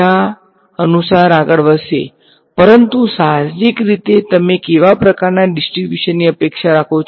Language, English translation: Gujarati, They will move according to each other, but intuitively what kind of distribution do you expect